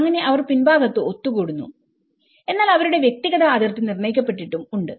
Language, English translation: Malayalam, So, they gather at the rear space and at the same time they have their personal demarcation of their space